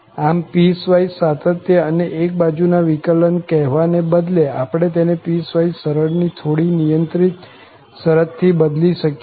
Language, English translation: Gujarati, So, instead of saying piecewise continuity and one sided derivative, we can replace this by slightly more restrictive condition of piecewise smoothness